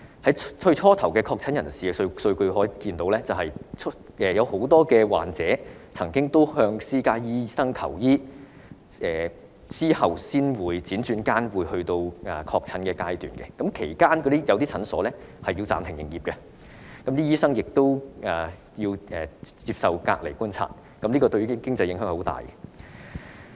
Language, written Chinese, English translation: Cantonese, 由最初確診人士的數據可見，很多患者曾經向私家醫生求醫，由於這些人之後才確診，接觸過這些人的診所需要暫停營業，醫生亦要接受隔離觀察，對其經濟影響很大。, As we can see from the data of confirmed cases at the early stage many patients have sought treatment from private doctors . As these people were only diagnosed as confirmed cases at a later time the clinics which had contact with them need to suspend business whereas the doctors also have to undergo quarantine and observation thereby exerting a great economic impact on them